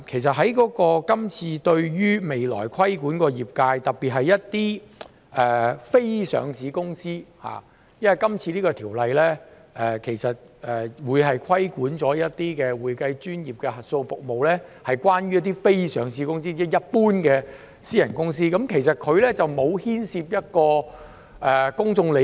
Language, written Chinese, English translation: Cantonese, 第二，未來規管的業界涉及一些非上市公司，《條例草案》會規管的一些會計專業的核數服務涉及非上市公司，即一般的私人公司，其實當中並沒有牽涉公眾利益。, Second the future regulation of the industry involves some unlisted companies . Audit services of the accounting profession under the regulation of the Bill involve unlisted companies namely ordinary private companies which involve no public interest